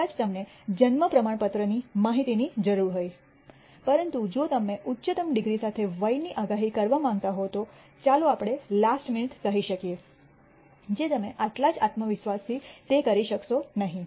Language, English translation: Gujarati, Maybe you might need the information from the birth certificate, but if you want to predict the age with higher degree of precision, let us say to the last minute, you may not be able to do it with the same level of con dence